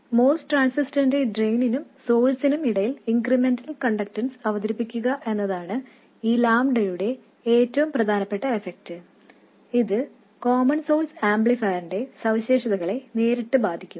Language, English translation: Malayalam, So, the most important effect of this lambda is to introduce an incremental conductance between the drain and source of the most transistor and this will directly affect the characteristics of the common source amplifier